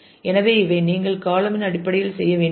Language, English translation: Tamil, So, these are things that you should do in terms of the column